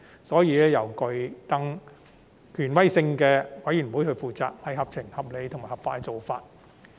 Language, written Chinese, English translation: Cantonese, 所以，由更具權威性的資審會負責是合情、合理及合法的做法。, Hence it is sensible reasonable and legal to have the more authoritative CERC assume the responsibility for the review